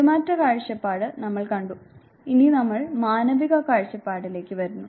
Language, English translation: Malayalam, We have seen the behaviorist view point and now we come to the humanistic view point